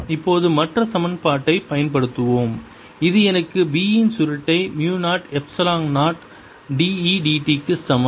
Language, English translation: Tamil, let us now apply the other equation which gives me curl of b is equal to mu, zero, epsilon, zero, d, e, d t